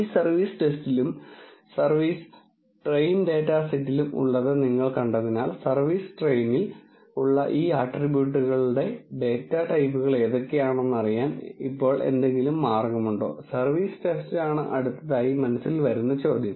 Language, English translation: Malayalam, Since, you have viewed what is there in this service test and service train data sets, now is there any way to know what are the data types of the these attributes that are there in this service train and service test is the next question that comes to mind